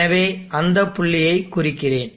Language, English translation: Tamil, So let me mark that point